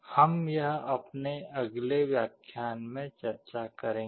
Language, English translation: Hindi, This we shall be discussing in our next lecture